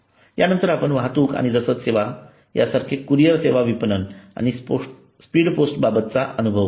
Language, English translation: Marathi, next we look at transportation and logistics services like courier services marketing and the speed post ma post experience